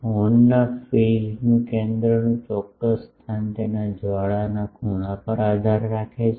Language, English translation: Gujarati, The exact location of the phase center of the horn depends on it is flare angle